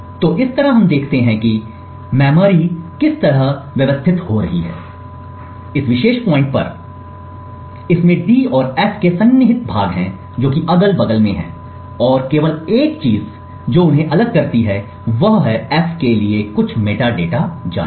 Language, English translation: Hindi, So in this way what we see is that we have seen how the memory is organized at this particular point in time, it has contiguous chunks of d and f which has placed side by side and the only thing which separates them is some metadata information for the f